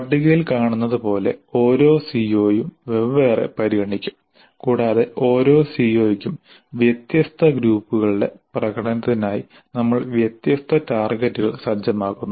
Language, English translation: Malayalam, As can be seen in the table, each CO is considered separately and for each CO we set different targets for different groups of performances